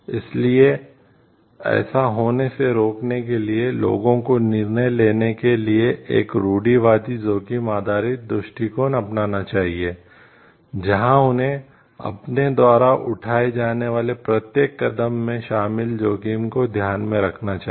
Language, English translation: Hindi, So, to prevent that thing from happening so, people must adopt a conservative risk based approach to decision making, where they have to calculate the risks involved in every step every action that they are doing